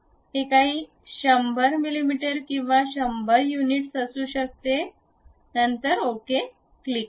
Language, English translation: Marathi, It may be some 100 mm or 100 units, then click ok